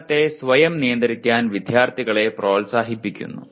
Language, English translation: Malayalam, Encourages students to self regulate their learning